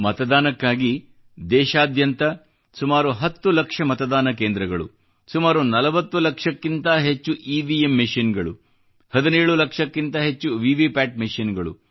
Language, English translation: Kannada, For the voting, there were around 10 lakh polling stations, more than 40 lakh EVM machines, over 17 lakh VVPAT machines… you can imagine the gargantuan task